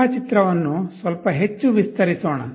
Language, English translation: Kannada, Let us expand the diagram a little bit more